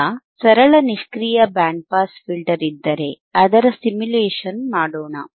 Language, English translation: Kannada, Now if there is a simple passive band pass filter, then let us do the simulation